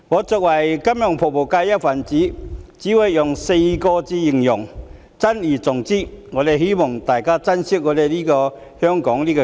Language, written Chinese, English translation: Cantonese, 作為金融服務界的一分子，我只會說4個字珍而重之，希望大家都珍惜香港這個家。, As a member of the financial services sector my advice is that we should cherish what we have . I hope all of us would treasure Hong Kong this home of ours